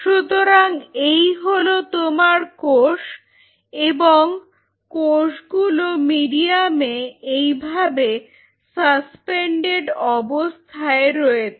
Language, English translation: Bengali, So, here you have the cells and cells are suspended in a medium like this